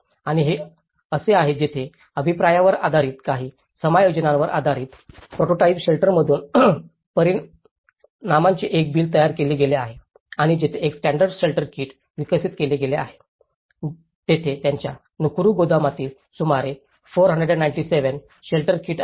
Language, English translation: Marathi, And this is where based on the feedback, based on some adjustments; a bill of quantity has been derived from the prototype shelter and where a standard shelter kit has been developed, about 497 shelter kits in its Nakuru warehouse